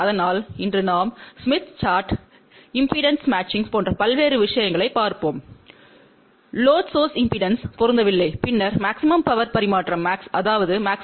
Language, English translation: Tamil, So, today we will look into different things like smith chart, impedance matching because if the load is not match with the source impedance, then maximum power transfer does not happen